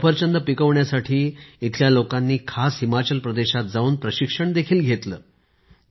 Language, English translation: Marathi, To learn apple farming these people have taken formal training by going to Himachal